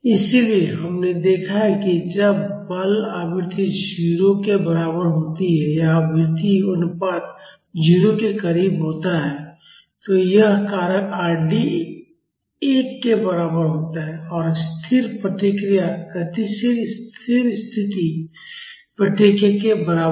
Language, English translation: Hindi, So, we have seen that when the forcing frequency is equal to 0 or the frequency ratio is close to 0, this factor Rd is equal to one and the static response will be equal to the dynamic steady state response